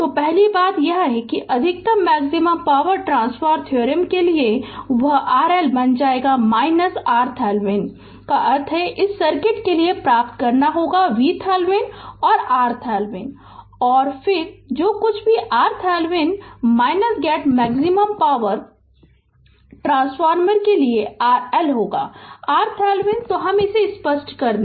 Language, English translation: Hindi, So, first thing is you have to that for maximum power transfer theorem maximum power, that R L will become your R Thevenin that means, you have to obtain for this circuit V Thevenin and R Thevenin right